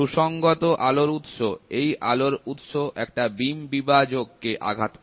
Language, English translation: Bengali, Coherent light source; so, this light source hits at a beam splitter